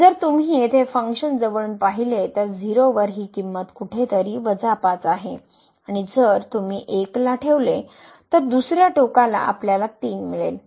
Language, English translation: Marathi, So, if you take a close look at this function here at 0 the value is a minus 5 somewhere here and if you put this 1 there the other end then we will get 3